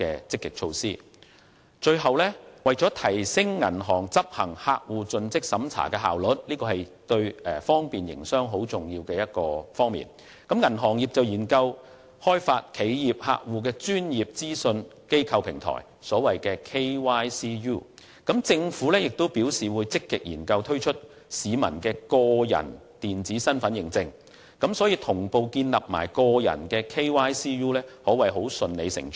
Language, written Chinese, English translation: Cantonese, 最後，為了提升銀行執行客戶盡職審查的效率——這對方便營商十分重要——銀行業正研究開發企業客戶的專業資訊機構平台，而政府亦表示會積極研究推出市民的個人電子身份認證，所以同步建立個人的 KYCU 可謂順理成章。, Last but not least in order to enhance the efficiency of banks in conducting customer due diligence―vital for business facilitation―the banking industry is exploring the establishment of a Know - your - customer Utility KYCU for corporate customers whereas the Government has also indicated its intention to actively consider introducing an electronic identity for Hong Kong residents . It is thus natural to establish a personalized KYCU at the same time